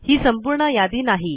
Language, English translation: Marathi, This list isnt exhaustive